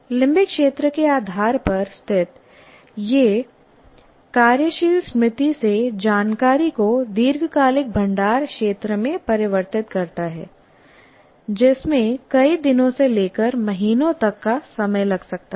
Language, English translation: Hindi, Located at the base of the limbic area, it converts information from working memory to the long term storage region which may take days to months